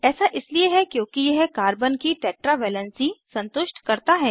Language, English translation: Hindi, This is because it satisfies Carbons tetra valency